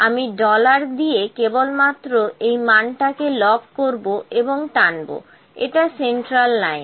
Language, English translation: Bengali, I will just lock the values dollar and dollar and drag it is my central line